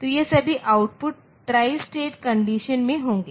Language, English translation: Hindi, So, all these output will be in a tri state condition